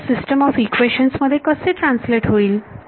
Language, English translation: Marathi, So, how does that translate into a system of equations